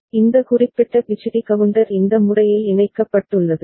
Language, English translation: Tamil, So, the IC 7490, this particular BCD counter has been connected in this manner ok